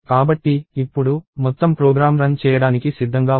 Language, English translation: Telugu, So, now, the whole program is ready for running